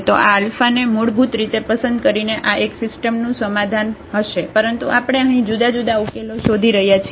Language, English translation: Gujarati, So, that will be one solution of this system by choosing this alphas basically we are looking for different different solutions